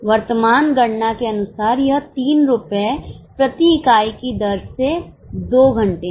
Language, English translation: Hindi, As per the current calculation, it is 2 hours per unit at 3 rupees